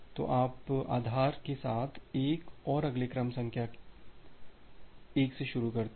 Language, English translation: Hindi, So, you start with the base as 1 and the next sequence number 1